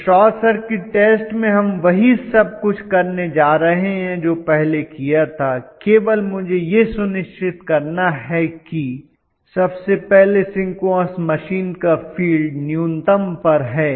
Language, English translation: Hindi, So in short circuit test what we are going to do is everything else remain the same only thing is I will make sure that first of all field of the synchronous machine is brought to a minimum